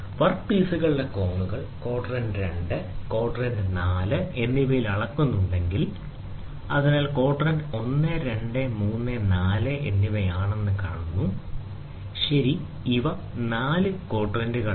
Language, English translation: Malayalam, If the angles of the work pieces are being measured in quadrant 2 and quadrant 4, so, if you see the quadrants are 1, 2, 3 and 4, ok, these are the four quadrants